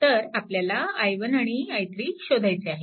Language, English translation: Marathi, So, it will be i 1 plus i 2